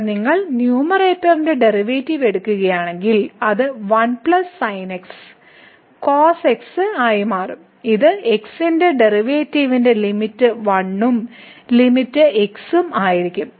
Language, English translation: Malayalam, So, here if you take the derivative of the numerator it is a plus the will become and the limit of the derivative of this is and the limit goes to infinity